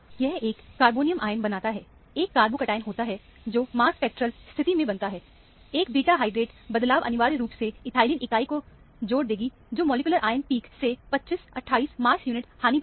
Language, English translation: Hindi, This is a carbonium ion that is formed, a carbo cation that is formed in the mass spectral condition; a beta hydrate shift would essentially release the ethylene unit, which is a 25, 28 mass unit loss from the molecular ion peak